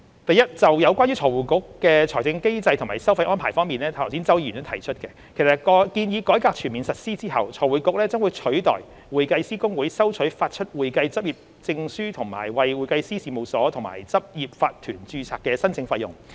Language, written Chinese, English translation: Cantonese, 第一，就有關財匯局的財政機制及收費安排方面，正如剛才周議員所提出，建議改革全面實施後，財匯局將取代會計師公會收取發出會計執業證書和為會計師事務所及執業法團註冊的申請費用。, First regarding FRCs financial mechanism and levies arrangement as mentioned by Mr CHOW just now upon full implementation of the proposed reform FRC will collect the application fees for the issue of practising certificates and registration of firms and corporate practices of the accounting profession in place of HKICPA